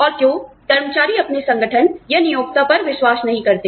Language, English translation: Hindi, And, why employees do not tend to trust, their organizations, or their employers